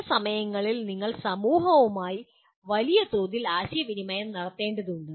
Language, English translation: Malayalam, And also sometime you have to communicate with society at large